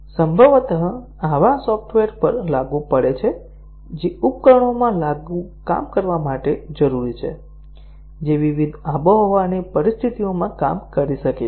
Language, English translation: Gujarati, Possibly, applicable to software that is required to work in devices which might work in different climatic conditions